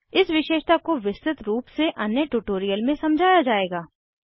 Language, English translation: Hindi, This feature will be explained in detail in another tutorial